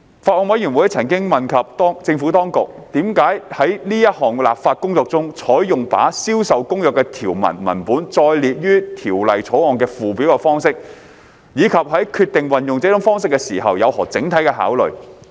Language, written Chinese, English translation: Cantonese, 法案委員會曾詢問政府當局，為何在此項立法工作中，採用把《銷售公約》的條文文本列載於《條例草案》的附表的方式，以及在決定運用這種方式時有何整體考慮。, The Bills Committee has enquired about the reasons for adopting the approach of setting out the text of the provisions of CISG in the Schedule to the Bill in this legislative exercise and the overall considerations in deciding to adopt such an approach